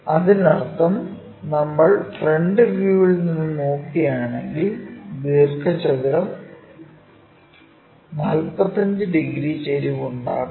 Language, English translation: Malayalam, That means, if we are looking from front view the rectangle is making an angle 45 degrees inclination